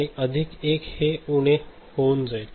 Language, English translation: Marathi, So, it will go to minus 1